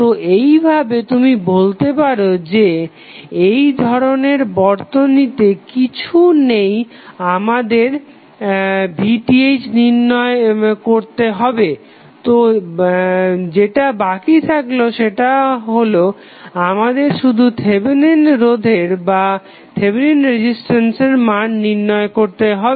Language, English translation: Bengali, So in that way you can simply say that we do not have any we need not to calculate V Th for this type of source, so what is left is that we need to find out the value of only Thevenin resistance